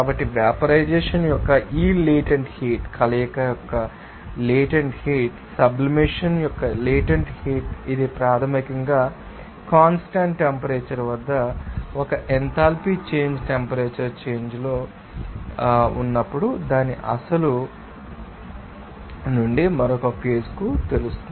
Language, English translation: Telugu, So, this latent heat of vaporization, latent heat of fusion, latent heat of sublimation, this is basically an enthalpy change temperature change at a constant temperature when there is a change of you know phase from its original to another